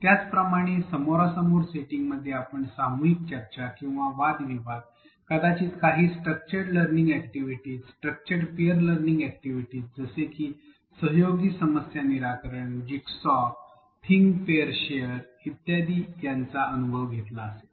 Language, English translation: Marathi, Similarly, in a face to face setting you would have experienced group discussions or debates perhaps some structured learning activities, structured peer learning activities, such as collaborative problem solving, jigsaw, think pair share and so on